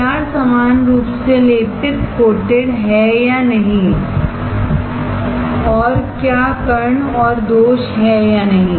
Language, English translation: Hindi, Whether the PR is uniformly coated or not, and whether there are particles and defects or not